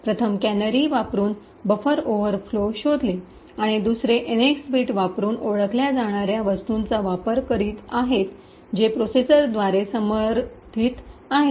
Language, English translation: Marathi, The first was using canaries where buffer overflows were detected, the second is using something known as the NX bit which is supported by the processors